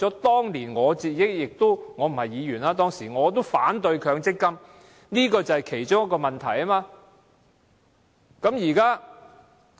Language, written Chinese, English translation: Cantonese, 當年我不是議員，但我也反對強積金，對沖安排便是其中一個原因。, Back then when I was not a Member I already opposed MPF and the offsetting arrangement was one of the reasons